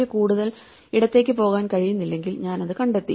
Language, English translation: Malayalam, If I cannot go further left then I found it